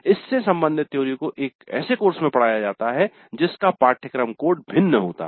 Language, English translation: Hindi, The corresponding theory is taught in a course which is a different course code